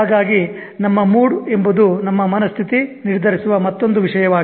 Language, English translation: Kannada, So our mood is another thing that mind set is contributing to